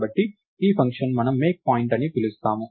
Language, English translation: Telugu, So, this function we are going to call MakePoint